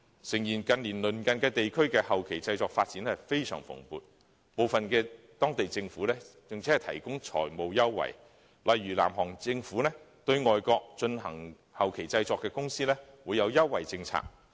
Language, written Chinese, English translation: Cantonese, 誠然，近年鄰近地區的電影後期製作發展非常蓬勃，部分地區的當地政府更提供財務優惠，例如南韓政府對進行後期製作的外國公司設有優惠政策。, Admittedly the film postproduction of our neighbouring areas has been developing vigourously in recent years . The local governments of some regions have even provided financial concessions . For instance the South Korean Government has in place preferential policies for overseas companies engaging in postproduction